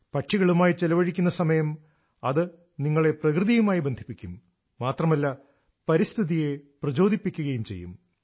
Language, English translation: Malayalam, Time spent among birds will bond you closer to nature, it will also inspire you towards the environment